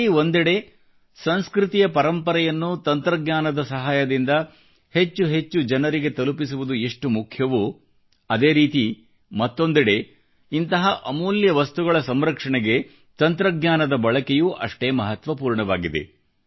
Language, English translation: Kannada, On the one hand it is important to take cultural heritage to the maximum number of people through the medium of technology, the use of technology is also important for the conservation of this heritage